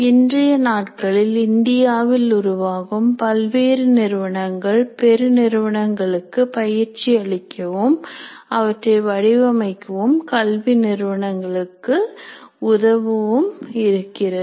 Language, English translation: Tamil, Now these days there are a number of companies that are coming up in India who are trying to design and conduct programs for the corporates as well as for the educational institutes